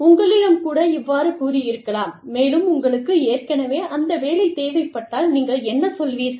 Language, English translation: Tamil, So, if somebody tells you that, and you already, you need the job, what will you say